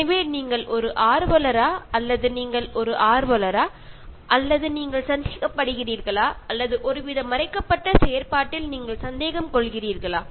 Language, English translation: Tamil, So are you an activist, or are you an in activist, or are you skeptical or are you skeptical with some kind of hidden agenda